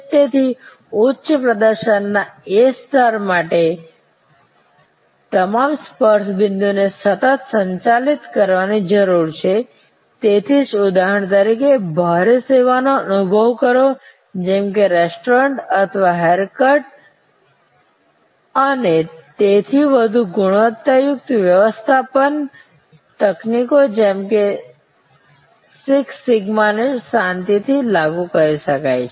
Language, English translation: Gujarati, So, all the touch points need to be managed continuously for that level of high performance that is why for example, experience heavy services, like restaurants or haircuts and so on quality management techniques likes six sigma can be quiet gainfully applied